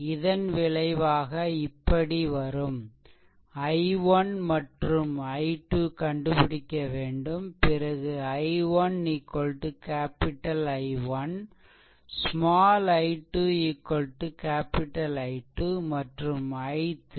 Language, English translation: Tamil, So, once you solve I 1 and I 2, then you find out I 1 is equal to capital small i 1 is equal to capital I 1, small i 2 capital I 2 and this is I 3